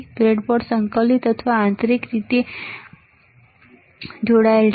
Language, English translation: Gujarati, The breadboard is integrated or internally it is connected internally it is connected